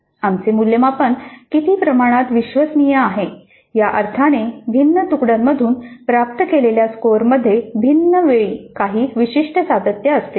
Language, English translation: Marathi, So to what extent our assessment is reliable in the sense that scores obtained from different batches at different times have certain consistency